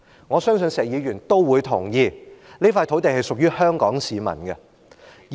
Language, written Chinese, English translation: Cantonese, 我相信石議員都同意，這塊土地是屬於香港市民的。, I believe Mr SHEK will also agree that this piece of land belongs to Hong Kong people